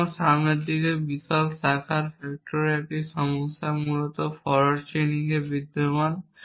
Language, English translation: Bengali, So, the same problem of huge branching factor in the forward direction exist in forward chaining essentially